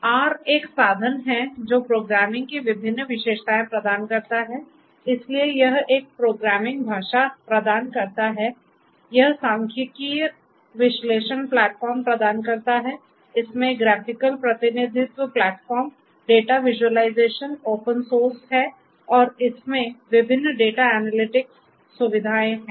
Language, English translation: Hindi, So, R it is a tool; R is a tool which offers different features; different features of programming you know so it offers a programming language, it offers statistical analysis platform, it has graphical representation platform, data visualization, open source its R is open source and has different data analytics features